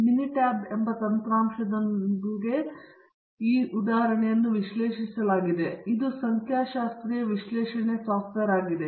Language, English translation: Kannada, This example has been analyzed using mini tab software; this is a statistical analysis software